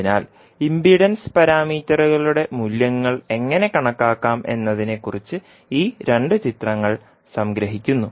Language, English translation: Malayalam, So, these two figures summarises about how we can calculate the values of impedance parameters